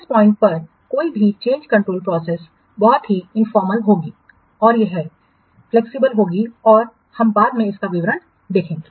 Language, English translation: Hindi, Any change control process at this point would be very informal and it will flexible and later on we will see the details